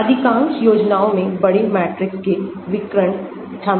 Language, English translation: Hindi, Most of the schemes involve the diagonalization of large matrix